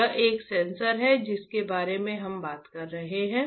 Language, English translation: Hindi, That is a sensor that we are talking about